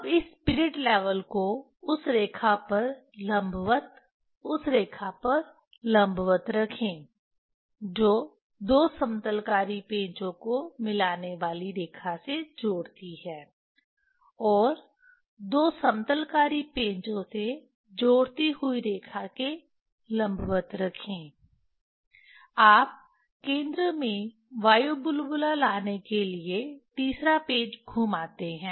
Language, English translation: Hindi, Now then place this spirit level perpendicular to that line perpendicular to that line joining which line that joining the two leveling screw, and putting in perpendicular to that joining two leveling screw, you turn the third screw to bring the air bubble at the at the center